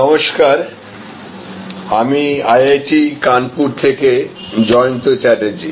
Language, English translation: Bengali, Hello, this is Jayanta Chatterjee from IIT, Kanpur